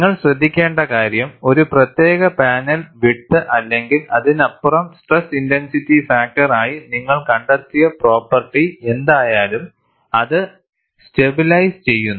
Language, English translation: Malayalam, And what you will also have to notice is, only for a particular panel width or beyond that, whatever the property you find out as critical stress intensity factor, it stabilizes